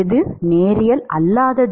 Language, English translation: Tamil, which one is non linear